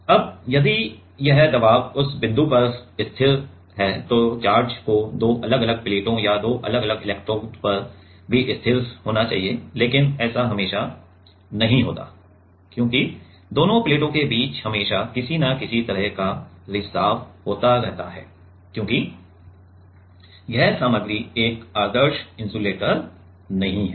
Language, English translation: Hindi, Now, if this pressure is constant at that point then the charge also need to be static at that at the two different plates or two different electrodes, but it always does not happen, because there is always some kind of leakage happening in between the two plates, because this material is not a perfect insulator